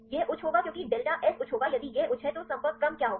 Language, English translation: Hindi, This will be high because delta s will be high if this is high, then what will happen the contact order